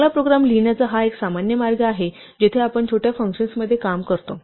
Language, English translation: Marathi, This is a very typical way you write nice programs where you break up your work into small functions